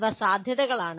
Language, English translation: Malayalam, These are possibilities